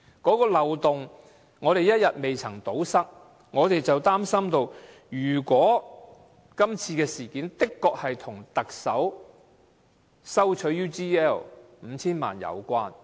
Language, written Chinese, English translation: Cantonese, 這個漏洞一天不能堵塞，我們便擔心今次事件的確跟特首收取 UGL 5,000 萬元有關。, If this loophole cannot be plugged we fear that this incident is really connected with the Chief Executives receipt of 50 million from UGL